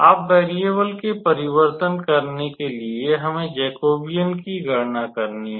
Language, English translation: Hindi, Now, to do the change of variables actually, we know that we need to calculate the Jacobian